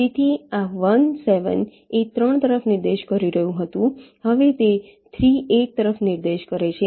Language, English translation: Gujarati, so this one seven was pointing to three, now it will be pointing to three